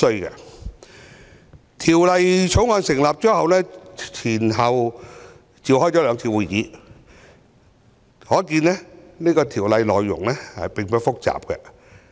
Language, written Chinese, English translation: Cantonese, 法案委員會成立後，前後召開了兩次會議，可見《條例草案》的內容並不複雜。, The fact that the Bills Committee had held two meetings after its establishment indicates that the Bill is not too complicated